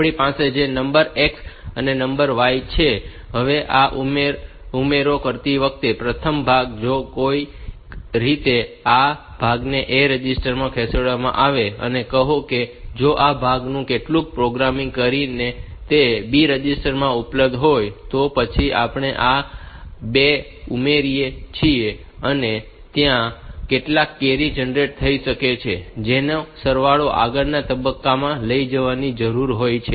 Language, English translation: Gujarati, Now, while doing this addition, first part, first if this somehow this part is moved into the A register and this part is available in say B register somehow by doing some programming you can do that; then, when I add these 2, some carry may be generated that need to be propagated to the next stage in the sum